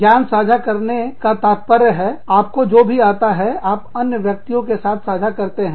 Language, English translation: Hindi, Knowledge sharing means, you are sharing, whatever you know, with other people